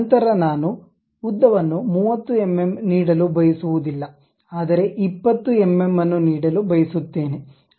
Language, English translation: Kannada, Then length I do not want to give 30 mm, but something like 20 mm I would like to give